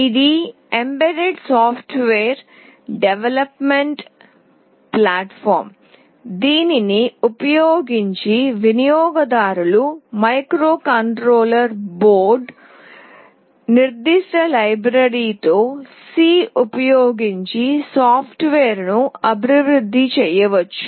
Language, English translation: Telugu, It is an embedded software development platform using which users can develop software using C, with microcontroller board specific library